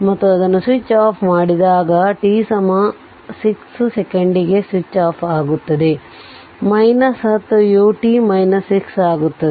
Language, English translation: Kannada, And when it is switch off switched off at t is equal to 6 second it will be minus 10 u t minus 6, right